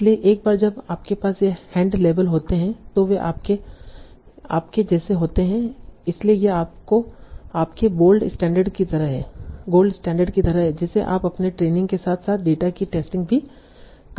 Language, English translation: Hindi, So once you have these hand labels, they are like your, so this is like your gold standard that you can use as your training as well as testing data